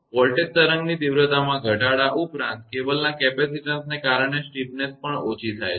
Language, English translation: Gujarati, In addition to the reduction in the magnitude of the voltage wave; the steepness is also reduced due to the capacitance of the cable